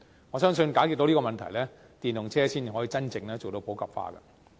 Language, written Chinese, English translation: Cantonese, 我相信解決這個問題後，電動車才能真正普及化。, I believe when these problems are resolved EVs can really be popularized